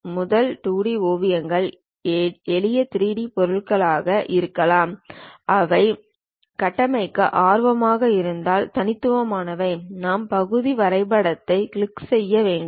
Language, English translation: Tamil, So, first 2D sketches may be simple 3D objects which are one unique objects if we are interested to construct, we have to click part drawing